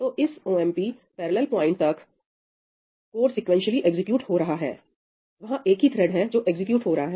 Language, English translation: Hindi, So, up to this point, up to the omp parallel point, code is executing sequentially , there is a single thread that is executing